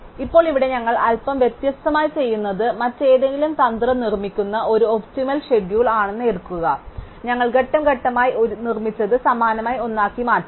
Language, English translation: Malayalam, Now, here what we do slightly different, we will take an optimum schedule which is produced by some other strategy and we will step by step transform it into one that is the same as one that we have produced